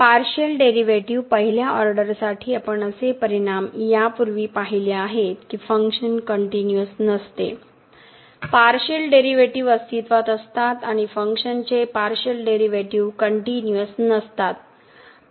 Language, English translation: Marathi, We have seen such results earlier for the first order partial derivatives that the function is not continuous, the partial derivatives, exist and function is continuous partial derivative does not exist